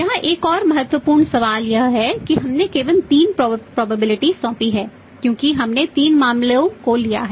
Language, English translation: Hindi, Another important question here is we have assigned only three probabilities because we have taken the three cases